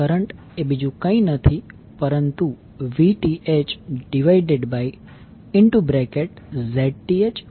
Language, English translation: Gujarati, Current is nothing but Vth divided by the Zth plus ZL